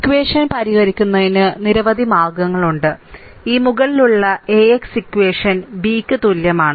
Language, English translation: Malayalam, So, there are several methods for solving equation your this above equation AX is equal to B